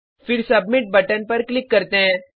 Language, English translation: Hindi, Then click on Submit button